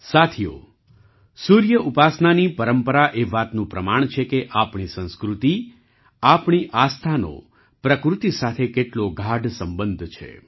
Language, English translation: Gujarati, Friends, the tradition of worshiping the Sun is a proof of how deep our culture, our faith, is related to nature